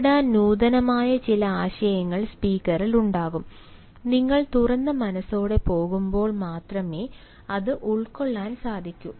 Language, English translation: Malayalam, the speaker will have some innovative ideas to share, and that is possible only when you go with an open mind